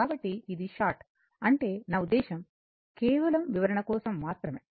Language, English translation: Telugu, So, it is short I mean just for the purpose of explanation